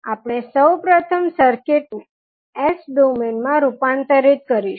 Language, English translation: Gujarati, So we will first transform the circuit into s domain